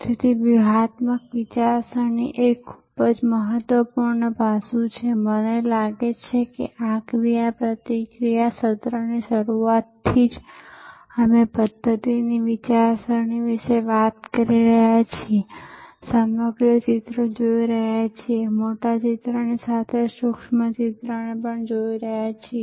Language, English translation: Gujarati, So, strategic thinking which is a very important aspect, I think right from the beginning of this interaction sessions, we have been talking about systems thinking, seeing the whole pictures, seeing the big picture as well as the micro picture